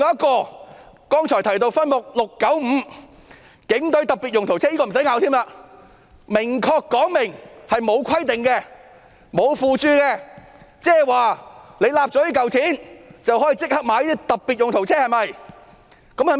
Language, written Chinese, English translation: Cantonese, 而剛才提到的分目 695， 更不用爭拗，該分目明顯沒有規定、沒有附註說明，即取得這筆撥款後，即可購買特別用途車。, As for the earlier mentioned Subhead 695 this is even beyond dispute . Obviously there is not any requirement or footnote under the subhead . In other words the funding once obtained can be used for procuring specialized vehicles